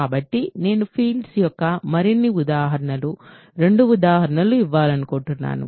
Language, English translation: Telugu, So, I want to give couple of examples of more examples of fields